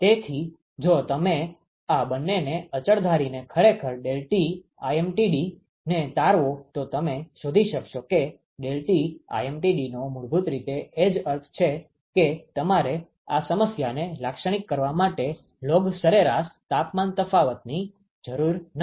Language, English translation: Gujarati, You will find out that deltaT lmtd is equal to basically what it means is that you do not require a log mean temperature difference to characterize this problem